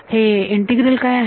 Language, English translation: Marathi, What is that integral